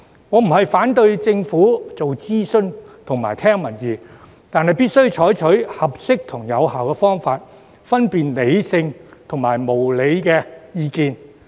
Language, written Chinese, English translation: Cantonese, 我並非反對政府做諮詢及聽民意，但必須採取合適及有效的方法，分辨理性或無理的意見。, I have no objection to the Governments attempts to conduct consultations or listen to public views but there must be appropriate and effective ways to distinguish between rational and unreasonable opinions